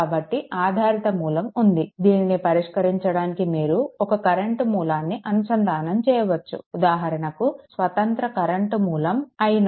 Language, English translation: Telugu, So, dependent source is there so, what you can do is for example, you can connect a your what you call a current source say your independent current source i 0